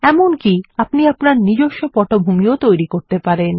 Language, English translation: Bengali, You can even create your own custom backgrounds